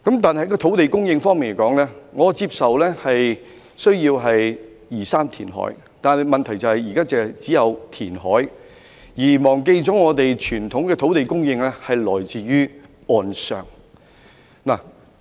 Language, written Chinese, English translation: Cantonese, 在土地供應方面，我接受香港有需要移山填海，但問題是現在只是單純填海，卻忘記了傳統的土地供應是來自岸上的。, With regard to land supply I agree that there is a need for Hong Kong to reclaim land but the current problem is that the Government has resorted to reclamation as the only option and forgotten that traditionally land supply should come from inland